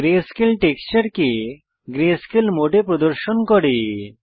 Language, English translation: Bengali, Greyscale displays the textures in greyscale mode